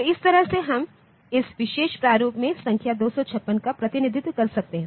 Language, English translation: Hindi, So, this way we can represent the number 256 in the in this particular format fine